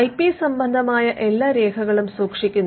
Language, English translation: Malayalam, So, all the records of the IP filed are kept